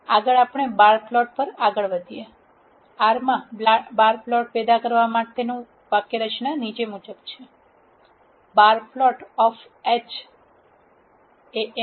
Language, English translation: Gujarati, Next we move on to the bar plot, the syntax to generate bar plot in R is as follows; bar plot of h